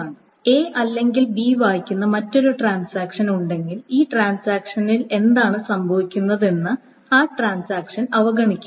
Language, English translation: Malayalam, So if there is another transaction that either reads A or reads B, then that transaction should be oblivious of what is happening in this thing